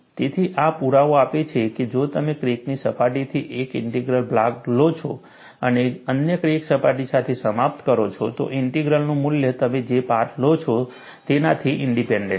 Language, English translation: Gujarati, So, this gives a proof, that if you take a integral from the crack surface and ends with the other crack surface, the value of the integral is independent of the path that you take